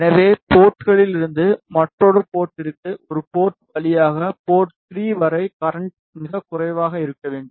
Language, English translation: Tamil, So, the power from port to port through a port to port 3 should be very less